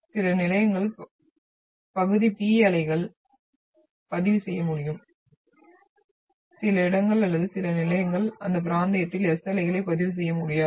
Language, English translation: Tamil, And some stations will be able to record the partial P waves whereas some locations or some stations will absolutely not been able to record the S waves in that region